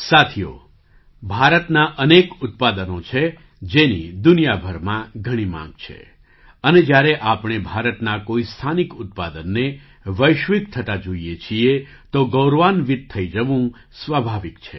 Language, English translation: Gujarati, Friends, there are so many products of India which are in great demand all over the world and when we see a local product of India going global, it is natural to feel proud